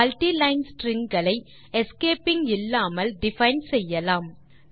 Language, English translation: Tamil, Let us define multi line strings without using any escaping